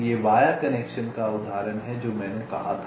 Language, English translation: Hindi, this is the example of a via connection that i had said